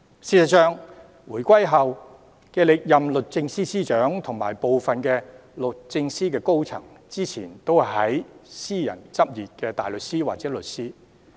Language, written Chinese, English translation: Cantonese, 事實上，回歸後歷任的律政司司長和部分律政司高層，之前都是私人執業的大律師或律師。, As a matter of fact all Secretaries for Justice we have had after the reunification as well as some other senior members of DoJ were private practice barristers or solicitors previously